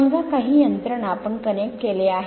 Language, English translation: Marathi, Suppose buy some mechanism you have connected right